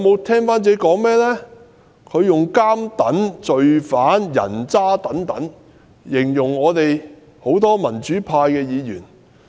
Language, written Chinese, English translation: Cantonese, 他以"監躉"、"罪犯"、"人渣"等字眼形容多位民主派議員。, He described various democratic Members with words such as convicts law - breakers and scums